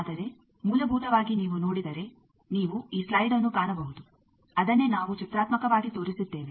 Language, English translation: Kannada, But basically if you look at that you can see these slide that same thing what we have pictorially shown